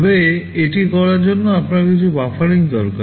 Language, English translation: Bengali, But in order do this, you need some buffering